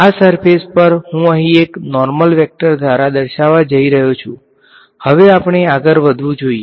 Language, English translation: Gujarati, Also this surface I am going to characterize by a normal vector over here I will need that alright should we go ahead ok